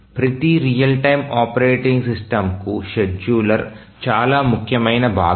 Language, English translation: Telugu, So, every real time operating system, the scheduler is a very important component